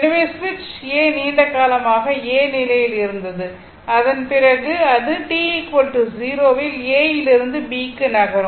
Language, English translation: Tamil, So, the switch A this switch was in a position A for long time after that it ah move at t is equal to 0 it moves from A to B right